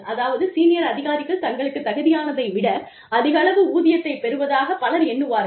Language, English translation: Tamil, Which means, people, a lot of people, feel that, senior executives are getting, a lot more money, than they actually deserve